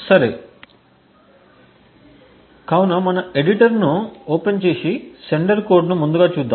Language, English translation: Telugu, Okay, so let us go into the code we will open our editor and look at the sender code first